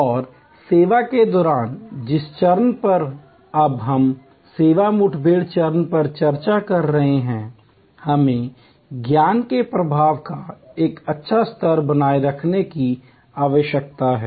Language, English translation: Hindi, And during the service, the stage that we are now discussing service encounter stage, we need to maintain a good level of knowledge flow